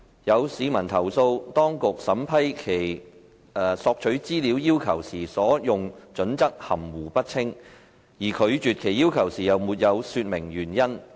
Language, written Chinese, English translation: Cantonese, 有市民投訴，當局審批其索取資料要求時所用準則含糊不清，而拒絕其要求時又沒有說明理由。, Some members of the public have complained that the criteria adopted by the authorities for vetting and approving their requests for access to information are vague and no reasons had been given when their requests were declined